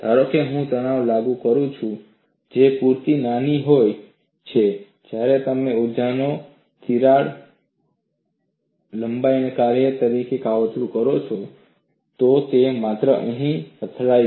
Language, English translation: Gujarati, Suppose, I apply a stress which is sufficiently small when you plot that energy as a function of the crack length, it would only hit here